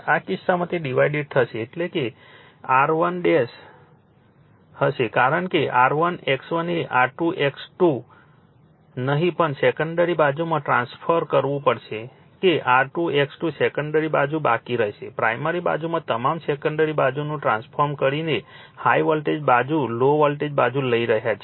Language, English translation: Gujarati, In this case it will be divided that is R 1 dash will be that is because R 1 X 1 you have to transform to the secondary side not R 2 X 2, R 2 X 2 will remaining the secondary side all the in primary side your transforming the secondary side there is high voltage side you are taking the low voltage side